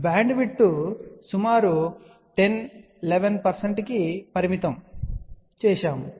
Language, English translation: Telugu, And again here we had seen that the bandwidth is limited to about 10 to 11 percent